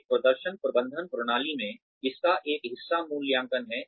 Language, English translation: Hindi, In a performance management system, one part of this is appraisals